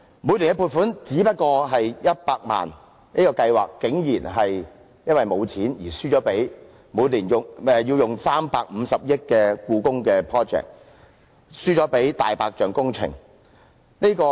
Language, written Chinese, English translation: Cantonese, 每年的撥款只不過是100萬元，但這項計劃竟然因為缺錢而輸掉給每年要耗費350億元的"故宮 project" 這個"大白象"工程。, The funding for the Programme is only 1 million a year but due to shortage of money it has to give way to the Hong Kong Palace Museum a white - elephant project costing 35 billion